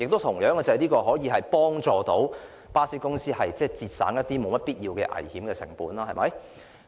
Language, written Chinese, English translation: Cantonese, 同時，這也可以幫助巴士公司節省一些沒必要的危險成本，對嗎？, Meanwhile this can also enable bus companies to save unnecessary costs of risk right?